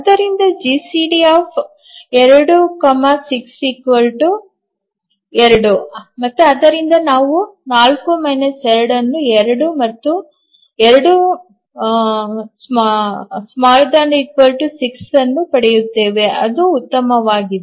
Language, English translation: Kannada, So, the GCD of 2 and 6 is 2, and therefore we get 4 minus 2 is 2 and 2 is less than equal to 6